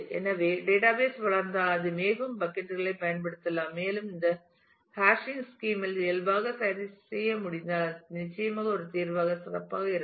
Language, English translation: Tamil, So, if the database grows it can use more and more buckets and if we could adjust this in the hashing scheme inherently; then it will certainly be better as a solution